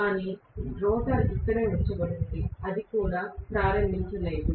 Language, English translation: Telugu, But the rotor is just sitting down, it is not even started